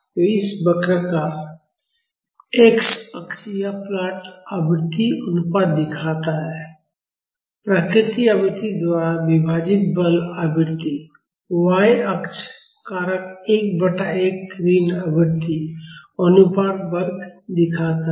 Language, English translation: Hindi, So, the x axis of this curve this plot shows the frequency ratio, the forcing frequency divided by the natural frequency; the y axis shows the factor 1 by 1 minus frequency ratio square